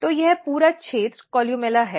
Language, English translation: Hindi, So, this entire region is columella